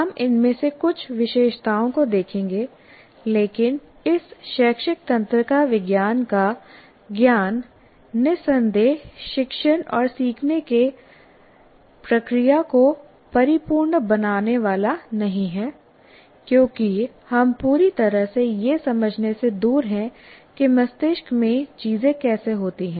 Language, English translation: Hindi, But the knowledge of this neuroscience, educational neuroscience is certainly not going to lead to making teaching and learning process a perfect one because we are far from fully understanding how things happen in the brain